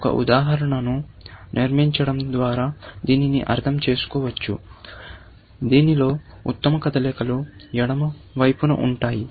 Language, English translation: Telugu, This, you can, sort of, understand by constructing an example in which, the best moves are on the left hand side